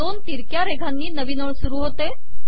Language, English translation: Marathi, Two consecutive slashes start a new line